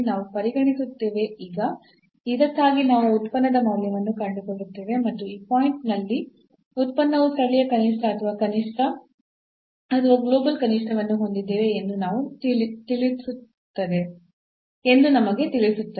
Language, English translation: Kannada, So, we will consider, now for this we will find the value of the function and then that will tell us whether the function has the local minimum or the rather minimum or the global minimum at this point